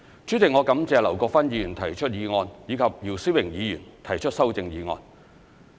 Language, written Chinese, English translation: Cantonese, 主席，我感謝劉國勳議員提出議案，以及姚思榮議員提出修正案。, President I thank Mr LAU Kwok - fan for moving the motion and Mr YIU Si - wing for proposing the amendment